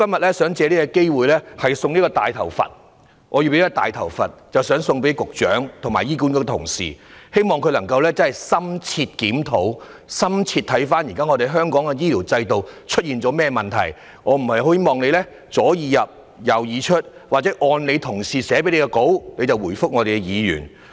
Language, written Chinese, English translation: Cantonese, 我想藉着今天這個機會，把我手上這個"大頭佛"送給局長和醫管局的員工，希望他們能深入檢討香港目前的醫療制度出了甚麼問題，而不是"左耳入，右耳出"，或只按其同事草擬的發言稿來回答議員的提問。, And I would like to take this opportunity today to give the Secretary and her fellow colleagues at HA this big - head Buddha which I am holding in the hope that they can conduct an in - depth review to find out what is wrong with the existing healthcare system in Hong Kong and not to let my words go in one ear and out the other or simply respond to Members questions according to the speech drafted by their colleagues